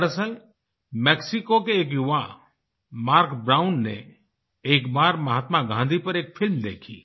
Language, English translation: Hindi, In fact a young person of Oaxaca, Mark Brown once watched a movie on Mahatma Gandhi